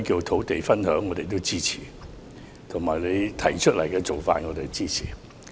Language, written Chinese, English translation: Cantonese, 土地分享我們也支持，而你為此目的而提出的做法，我們亦支持。, We also support land sharing and we extend our support to the approach proposed by the Chief Executive to this end